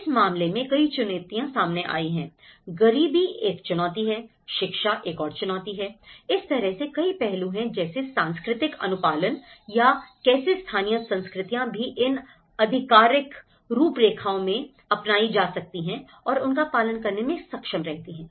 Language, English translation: Hindi, So, there have been many challenges, poverty being one of the challenge, education being another challenge, so like that, there are many aspects which and the cultural compliance you know, how the local cultures also able to comply with these authoritative frameworks